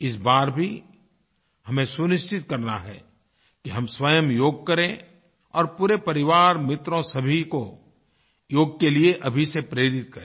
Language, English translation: Hindi, This time too, we need to ensure that we do yoga ourselves and motivate our family, friends and all others from now itself to do yoga